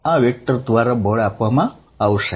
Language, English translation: Gujarati, The force is going to be given by this vector